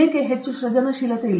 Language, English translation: Kannada, Why is not there much creativity